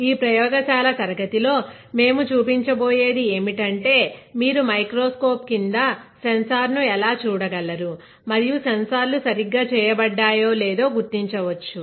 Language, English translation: Telugu, What we will be showing in this lab class is how you can see the sensor under the microscope and identify whether sensors are fabricated correctly or not